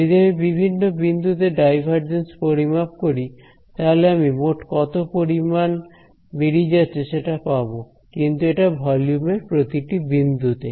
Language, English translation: Bengali, If I find out this divergence at various points inside this, I will get a sum total of how much is outgoing right, but that is at each point in the volume